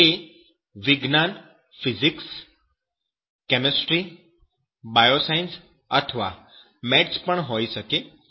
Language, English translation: Gujarati, Those sciences may be Physics may be chemistry may be bioscience, even mathematics also